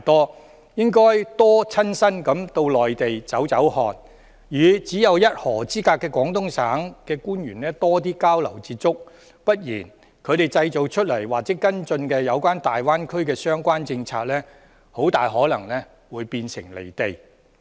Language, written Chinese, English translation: Cantonese, 他們應該多親身到內地走走看看，與只有一河之隔的廣東省官員多作交流、接觸；不然的話，他們制訂或跟進有關大灣區的相關政策，很可能會變得"離地"。, They should go to visit the Mainland in person and conduct exchanges and liaisons with Guangdong officials who are no more than a river beyond . Otherwise the relevant policies on the Greater Bay Area formulated or followed up by them will become detached from reality